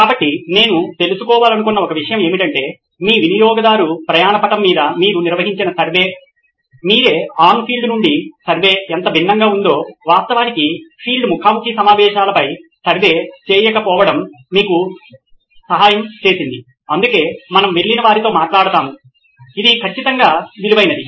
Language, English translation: Telugu, So, that’s one thing that I wanted to find out is how different is your customer journey map from what you had envisaged by yourself to what the on field survey actually not survey on field interviews actually helped you is something that is definitely worth while doing so that’s why we go and talk to them